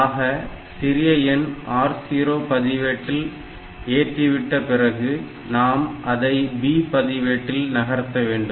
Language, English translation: Tamil, So, this will save the smaller number in the R 0 register, from there we move it to B register